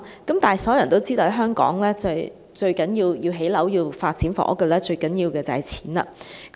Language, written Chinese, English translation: Cantonese, 然而，所有人也知道在香港要發展房屋，最重要的便是金錢。, Nevertheless we all know that money is the most important thing for housing development in Hong Kong